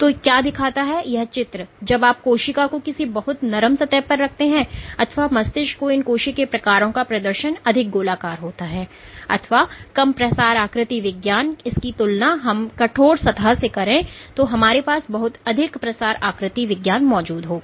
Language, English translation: Hindi, So, what this picture shows is when you plate straight a cell on something very soft or more brain like environment, these cell types tend to have exhibited more rounded or less spread morphology compared to these on a stiff surface, we existed much more spread morphology